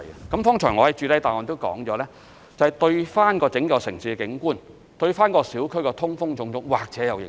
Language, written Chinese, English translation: Cantonese, 我剛才在主體答覆也指出，這對整個城市的景觀、小區的通風等，或許有影響。, As I pointed out earlier in my main reply this may have an impact on the landscapes across the city and the ventilation in local areas among others